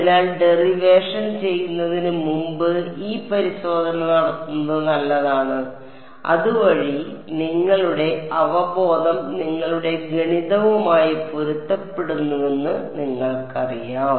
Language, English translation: Malayalam, So, it is good to do this check before you do the derivation so that, you know your intuition matches your math